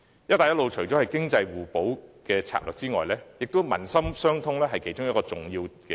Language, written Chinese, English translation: Cantonese, "一帶一路"除了是作為經濟互補的策略外，也以達致民心相通為目的。, Functioning as a strategy that helps both economies complement each other the Belt and Road Initiative also aims to foster people - to - people bond